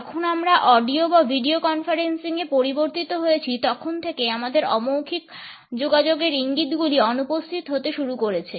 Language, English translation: Bengali, When we shifted to audio or video conferencing, we found that many cues of nonverbal communication started to become absent